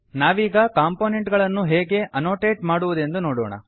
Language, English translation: Kannada, We would now see how to annotate components